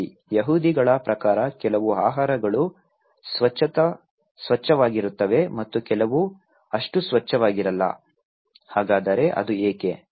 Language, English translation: Kannada, Well, some foods are clean according to the Jews people and some are not so clean, so why it is so